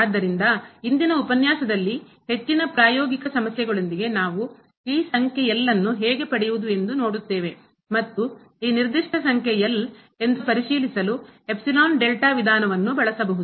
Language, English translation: Kannada, So, in today’s lecture we will look for more practical issues that how to get this number and the epsilon delta approach may be used to verify that this given number is